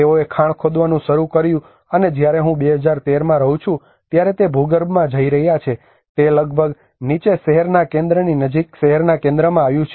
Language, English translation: Gujarati, They started digging the mine, and they are going underground when I was living in 2013 it came almost down to the city centre close to the city centre